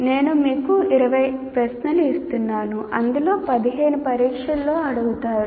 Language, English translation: Telugu, I give you 20 questions out of which 15 will be asked, which happens everywhere